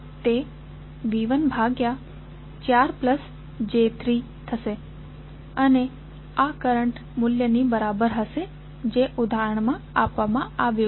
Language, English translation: Gujarati, It will be V 1 upon 4 plus j3 and this will be equal to the current value which is given in the example